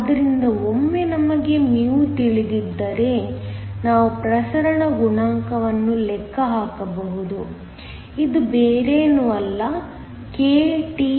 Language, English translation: Kannada, So, once we know μ we can calculate the diffusion coefficient nothing but, kTee